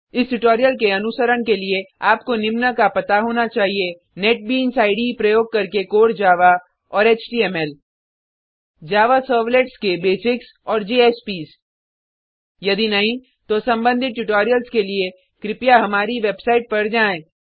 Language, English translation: Hindi, To follow this tutorial you must know Core Java using Netbeans IDE HTML Basics of Java Servlets and JSPs If not, for relevant tutorials please visit our website